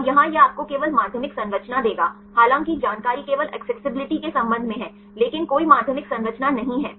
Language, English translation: Hindi, And here this will give you only the secondary structure though information regard only the accessibility, but no secondary structure